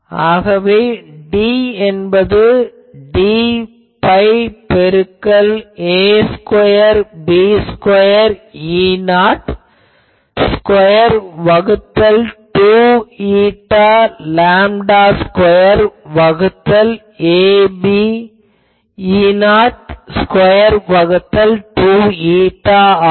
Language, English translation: Tamil, So, D will be 4 pi into a square b square E 0 square by 2 eta lambda square divided by a b E not square by 2 eta